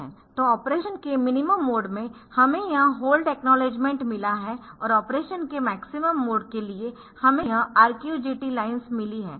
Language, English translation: Hindi, So, in minimum mode of operation so we have called hold acknowledgement, for maximum mode of operation we have got this RQ GT lines ok